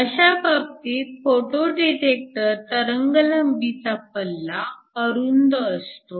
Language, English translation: Marathi, So in that case, a photo detector works over a narrow wavelength range